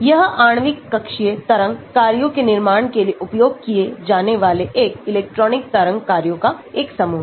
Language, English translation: Hindi, this is a set of one electron wave functions used to build the molecular orbital wave functions